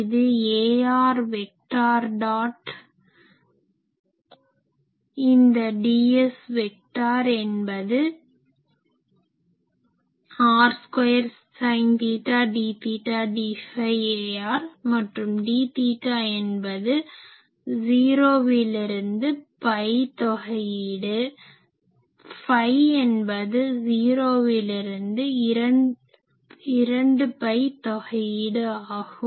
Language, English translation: Tamil, This is ar vector dot, this d S vector is r square sin theta d theta d phi a r and, how I wrote d theta means 0 to pi integration d phi means 0 to 2 pi integration